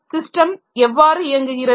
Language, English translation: Tamil, How does the system operate